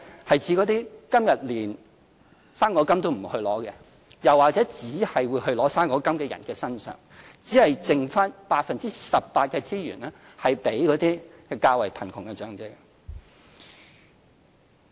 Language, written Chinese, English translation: Cantonese, 是指那些今天連"生果金"都沒有領取的，又或是只領取"生果金"的人士——只有剩下 18% 的資源給予較貧窮的長者。, I mean those elderly persons who even do not apply for fruit grant today or those who only receive fruit grant but nothing else . As a result only 18 % of the resources will be left for poor elderly people